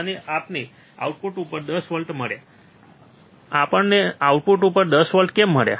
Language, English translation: Gujarati, And we got 10 volts at the output, why we got 10 volts at the output